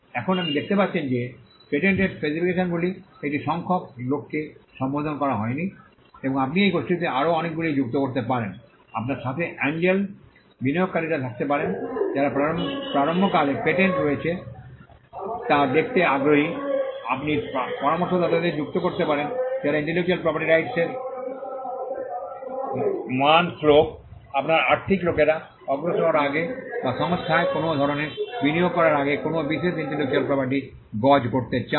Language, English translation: Bengali, Now, you can see that patent specifications are not addressed to one set of people and you could add many more to this group, you can have angel investors who are interested in looking at a startup which has a patent, you could add consultants who would value intellectual property intellectual property value verse, you could have financial people who want to gauge a particular intellectual property before advancing a loan or before giving making some kind of an investment into the company